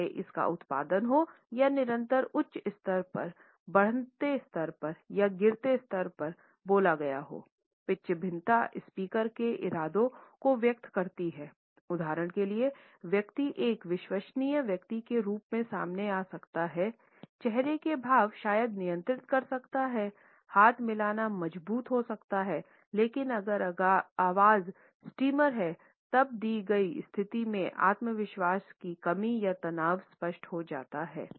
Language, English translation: Hindi, Whether it is produced or a spoken at a continuous high level, a rising level or at a falling level, pitch variation expresses the intention of the speaker, for example, a person may come across otherwise as a confident person, the facial expressions maybe control the handshake may be strong, but if the voice has streamers then the lack of confidence or tension in the given situation becomes apparent